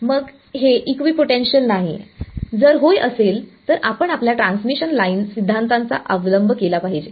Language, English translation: Marathi, Then it is not the equipotential, if yeah then you have to take recourse to your transmission line theory